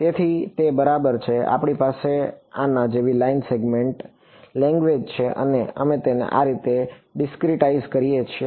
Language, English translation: Gujarati, So, that is exactly what will do we have a line segment language like this and we discretize it like this